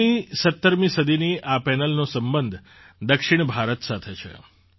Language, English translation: Gujarati, This panel of 16th17th century is associated with South India